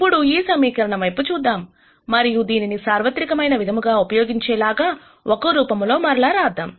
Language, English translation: Telugu, Now let us look at this equation, and then rewrite it in a form that is generally used